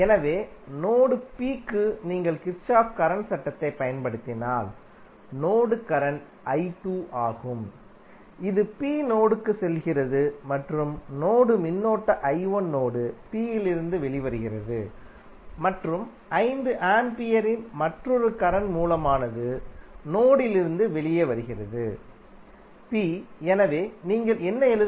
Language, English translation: Tamil, So, for node P if you apply Kirchhoff Current Law and if you see the mesh current is i 2 which is going in to node P and the mesh current i 2 is coming out of node P and another current source of 5 ampere is coming out of node P, so what you can write